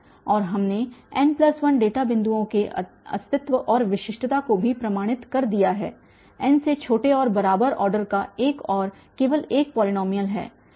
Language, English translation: Hindi, And we have also proved the existence and the uniqueness for n plus 1 data points there is only one and only one polynomial of order less than equal to n